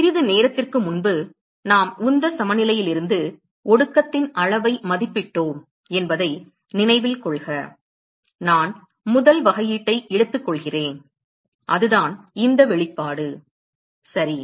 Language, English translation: Tamil, Remember a short while ago we estimated the amount of condensate from momentum balance, I take the first differential and that is this expression ok